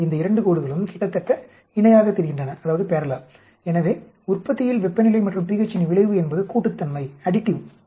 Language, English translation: Tamil, These 2 lines look almost parallel, so the effect of temperature and pH on the yield is additive